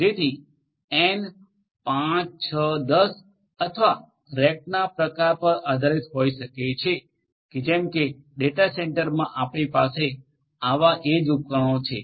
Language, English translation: Gujarati, So, n may be equal to 5, 6, 10 or whatever depending on the type of rack, like this we will have other such edge devices in a data centre